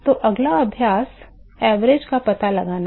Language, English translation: Hindi, So, the next exercise is to find out the average